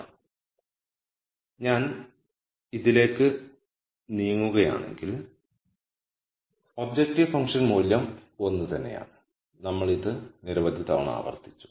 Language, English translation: Malayalam, So, if I am moving on this the objective function value the same we have repeated this several times